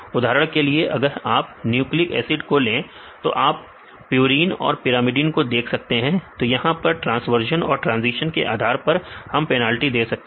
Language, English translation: Hindi, For example, if you take the nucleic acids you can see the purines and the primidines, we can is transversions and transitions based on that we give penalties